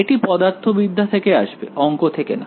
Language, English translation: Bengali, This will come from physics not math